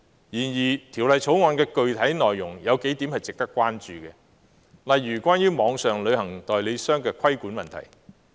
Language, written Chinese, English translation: Cantonese, 然而，《條例草案》的具體內容有數點是值得關注的，例如關於網上旅行代理商的規管問題。, However there are a few points in the Bill which warrant attention . For example the regulation of online travel agents